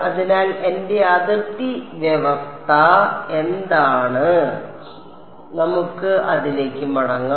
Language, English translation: Malayalam, So, what is my boundary condition let us go back to it